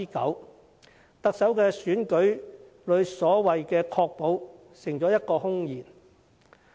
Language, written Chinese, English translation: Cantonese, 因此，特首在選舉政綱中的所謂"確保"成了空言。, Therefore the so - called ensure as stated in the Chief Executives Manifesto is nothing more than empty words